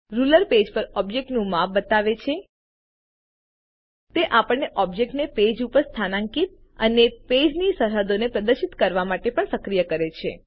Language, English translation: Gujarati, The ruler shows the size of an object on the page It also enables us to position an object on the page and displays page boundaries